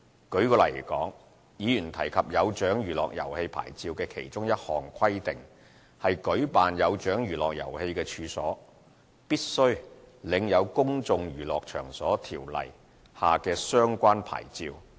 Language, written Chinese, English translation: Cantonese, 舉例來說，議員提及"有獎娛樂遊戲牌照"的其中一項規定，是舉辦"有獎娛樂遊戲"的處所，必須領有《公眾娛樂場所條例》下的相關牌照。, For example one of the conditions for the Amusements with Prizes Licence as mentioned by the Councillor is that relevant licence under the Places of Public Entertainment Ordinance shall be obtained for premises in which such amusements are conducted